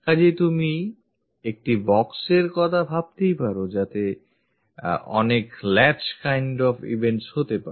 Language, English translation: Bengali, So, you can think of a box cons1sts of many latch kind of events